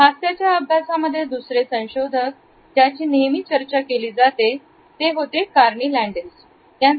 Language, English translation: Marathi, Another research which is often talked about in our studies of a smile is by Carney Landis